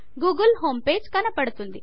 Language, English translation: Telugu, The google home page comes up